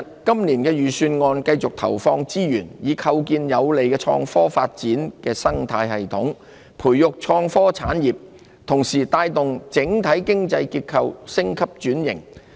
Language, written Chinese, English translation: Cantonese, 今年的預算案會繼續投放資源，以構建有利創科發展的生態系統，培育創科產業，同時帶動整體經濟結構升級轉型。, In this years Budget resources will continue to be allocated to building an ecosystem that is conducive to the development of innovation and technology nurture innovation and technology industries and drive the upgrade and transformation of the overall economic structure